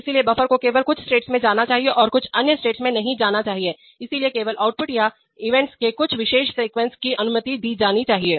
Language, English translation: Hindi, So the buffer should only go to certain states and should not go through, go to, go to some other states, so only some particular sequences of outputs or events should be allowed